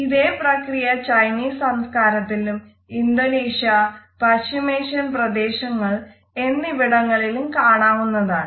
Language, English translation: Malayalam, The same was followed in conventional Chinese culture also in Indonesia in countries of the Middle East also